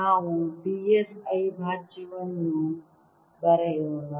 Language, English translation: Kannada, let us also write d s prime